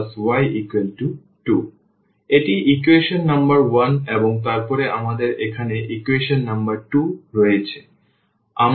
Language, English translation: Bengali, So, this is equation number 1 and then we have an equation number 2 here